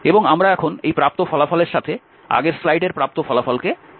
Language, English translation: Bengali, And now we combine this result and what we obtained in the previous slide